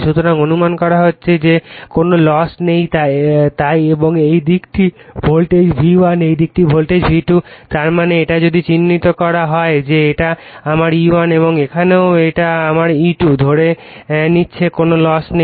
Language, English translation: Bengali, So, we are assuming there is no loss right so, and this side is voltage V1 this side is voltage V2; that means, this is if it is marked that this is my E1 and here also it is my E2 we are assuming there is no loss